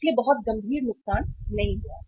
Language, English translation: Hindi, So not a very serious loss